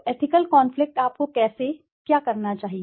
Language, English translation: Hindi, So, ethical conflict, how/what should you do